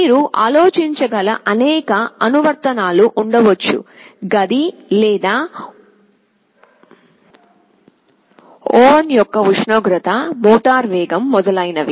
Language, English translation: Telugu, There can be many applications you can think of; temperature of the room or an oven, speed of a motor, etc